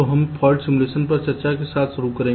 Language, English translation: Hindi, ok, so let us see what fault simulation is